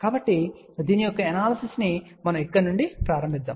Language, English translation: Telugu, So, the analysis of this is let us say if we start from here